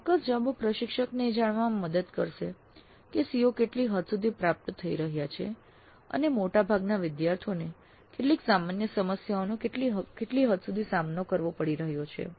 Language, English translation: Gujarati, So the specific answers would help the instructor to know to what extent the COs are being attained and to what extent there are some common problems faced by majority of the students